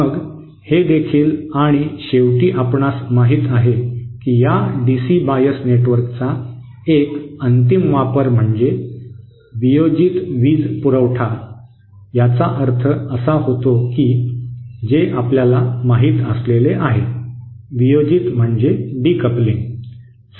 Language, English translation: Marathi, Then it also and finally you know one final use of this DC bias network could be it implements power supply decoupling what it means is that any you know